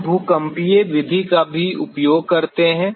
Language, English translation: Hindi, We also use the seismic method